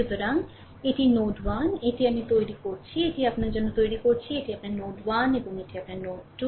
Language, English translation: Bengali, So, this is node 1 these I am making it I am making it for you, ah this is your node 1 and this is your node 2, right